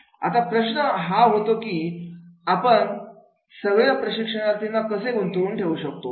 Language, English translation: Marathi, Now the question was that is the how should we get involved to get trainees to be involved